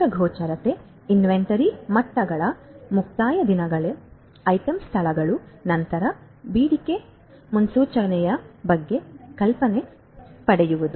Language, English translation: Kannada, Getting comprehensive visibility inventory levels, getting idea about the expiration dates, item locations, then about the demand forecasting